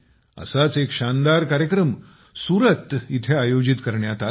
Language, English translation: Marathi, One such grand program was organized in Surat